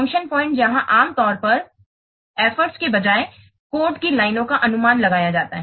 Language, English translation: Hindi, Function points are normally used to estimate the lines of code rather than effort